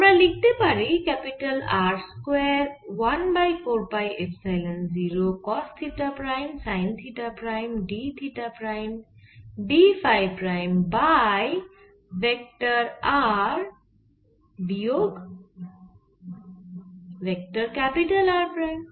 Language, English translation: Bengali, you can write this: i square sin theta prime, d theta prime, d phi prime over vector r minus vector r prime